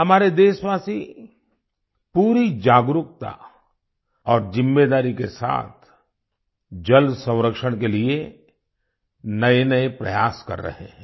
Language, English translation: Hindi, Our countrymen are making novel efforts for 'water conservation' with full awareness and responsibility